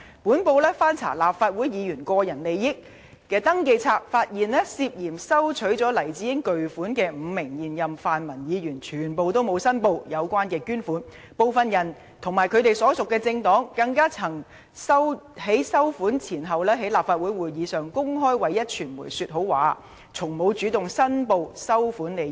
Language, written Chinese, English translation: Cantonese, 本報翻查立法會議員個人利益登記冊，發現涉嫌收取了黎智英巨款的5名現任泛民議員，全部都沒有申報有關捐款，部分人及其所屬政黨，更曾在收款前後，在立法會的會議上公開為壹傳媒說好話，但從未主動申報收款利益。, After checking the Register of Members Interests of the Legislative Council we found that five incumbent pan - democratic Members who allegedly received huge donations from Jimmy LAI had not declared the relevant donations . Worse still some of them and their political parties had even openly spoken in favour of the Next Media at meetings of the Legislative Council before receiving the donations and had yet to declare the donations on their own initiative